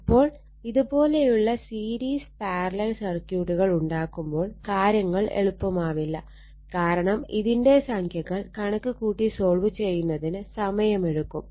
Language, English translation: Malayalam, So, if you make this kind of series parallel circuit it will be not easy it will take time for your what you call for solving numerical for computation